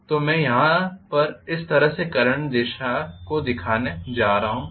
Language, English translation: Hindi, So this is going to be the direction of current basically